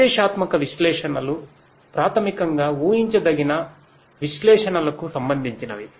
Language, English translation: Telugu, Prescriptive analytics basically is related to the predictive analytics